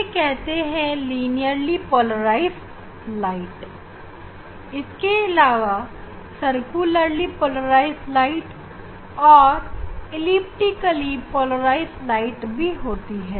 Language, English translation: Hindi, This one type is called the linearly polarized light or plain polarized light linearly polarized light or plain polarized light